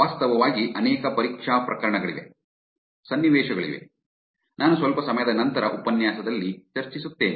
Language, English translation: Kannada, There are multiple actually test cases, scenarios for it I will actually discuss a little bit later in the lecture